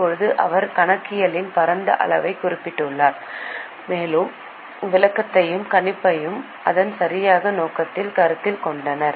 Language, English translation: Tamil, Now, he has specified broad scope of accounting and considered the explanation and prediction at its proper objective